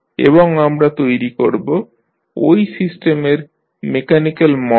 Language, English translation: Bengali, And will create the mathematical models of those systems